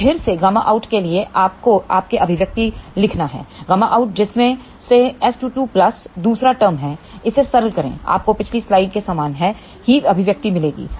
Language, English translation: Hindi, So, again for gamma out you have to write the expression of gamma out which is S 2 2 plus the other term, simplify it, you will get the same expression as in the previous slide